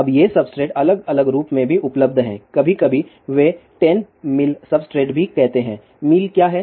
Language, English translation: Hindi, Now also, these substrates are available in different form, also sometimes, they also say 10 mil substrate; what is mil